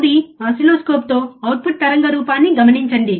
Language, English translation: Telugu, Third, with an oscilloscope observe the output waveform